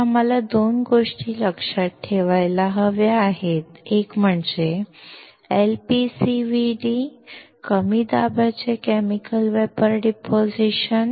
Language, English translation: Marathi, So, there are 2 things that we had to remember: one is called LPCVD Low Pressure Chemical Vapor Deposition